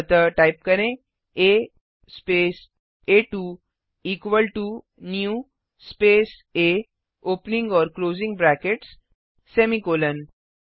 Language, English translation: Hindi, So type A space a2 equal to new space A opening and closing brackets semicolon